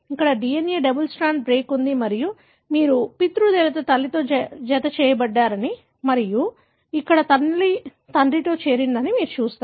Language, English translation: Telugu, There is a DNA double strand break here and you see that the paternal one got joined to maternal and here the maternal one got joined to the paternal